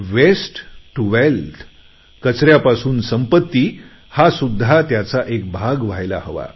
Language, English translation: Marathi, Waste to wealth should also be one of its components